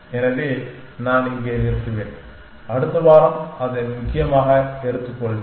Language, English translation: Tamil, So, I will stop here and will take that of next week essentially